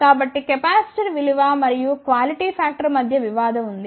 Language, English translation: Telugu, So, there is a tradeoff between the capacitor value and the quality factor